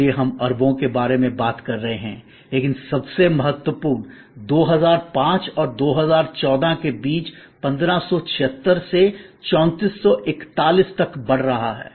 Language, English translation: Hindi, So, we are talking about billions and billions, but most importantly 1576 growing to 3441 between 2005 and 2014